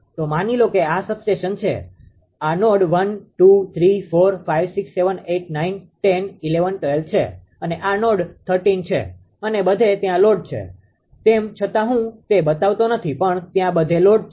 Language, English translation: Gujarati, So, suppose this is substation, this is substation this is node 1, node 2, node 3, node 4, node 5, node 6, node 7, node 8, node 9, and say node 10, node 11, 12 say this is thirteen node everywhere load is there